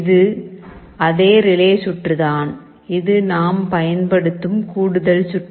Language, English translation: Tamil, The relay circuit is the same, and this is the additional circuit we are using